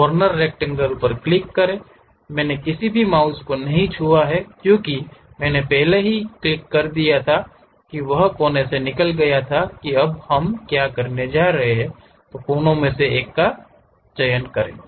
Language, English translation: Hindi, Click Corner Rectangle; I did not touched any mouse because I already clicked that corner moved out of that now what we are going to do is, pick one of the corner points